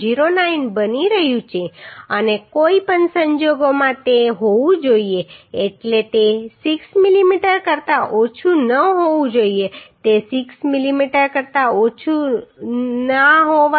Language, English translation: Gujarati, 09 and in any case it has to be means it should not be less than 6 mm it should not be less than 6 mm